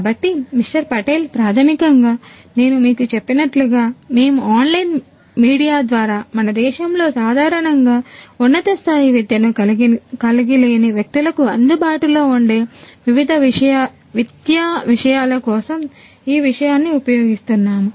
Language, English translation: Telugu, Patel basically as I have told you that we are using this thing for educational content which will be made accessible to people who do not normally have high end education in our country through online media